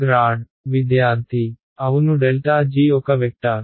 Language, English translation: Telugu, Yeah grad g is a vector